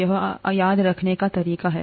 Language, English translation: Hindi, It is the way to remember this